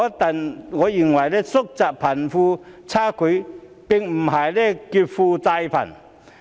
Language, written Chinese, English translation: Cantonese, 但我認為，縮窄貧富差距並不是劫富濟貧。, But I do not think that narrowing the gap between the rich and the poor means robbing the rich to help the poor